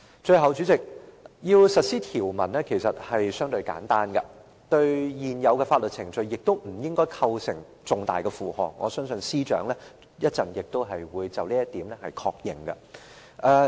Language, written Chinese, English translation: Cantonese, 最後，代理主席，要實施《條例草案》其實是相對簡單的，對現有的法律程序亦不會構成重大的負荷，我相信司長稍後亦會就這一點作出確認。, Finally Deputy President the implementation of the Bill is relatively simple and it will not impose a heavy load on existing legal proceedings . The Secretary will probably confirm this point in a moment